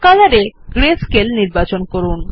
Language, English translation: Bengali, Then under Color, lets select Grayscale